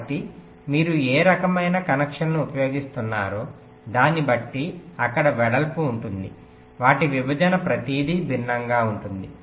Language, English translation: Telugu, so depending on which layer your using, the kind of connection there, width, their separation, everything will be different